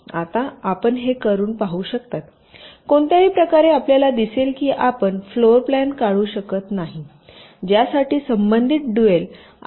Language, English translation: Marathi, now you can try it out in any way, you will see that you cannot draw a floor plan for which the corresponds dual graph will be this